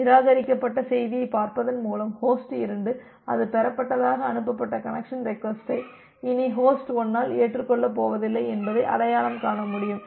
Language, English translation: Tamil, By looking into the reject message, host 2 can identify that the connection request that was sent that it was received it is not going to be accepted by host 1 anymore